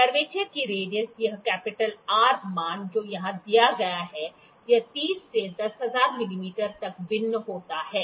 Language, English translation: Hindi, The radius of curvature this R value that is given here, this varies from 30 to 10,000 mm